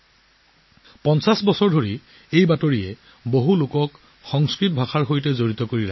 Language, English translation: Assamese, For 50 years, this bulletin has kept so many people connected to Sanskrit